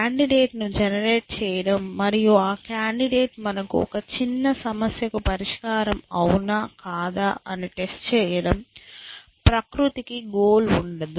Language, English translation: Telugu, Generate a candidate and test, you know the candidate, the solution that we had a smaller problem, nature does not have a goal